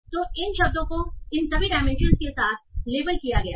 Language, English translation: Hindi, So these words are all labeled with all these dimensions